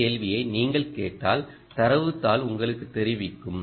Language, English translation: Tamil, if you ask this question, data sheet will tell you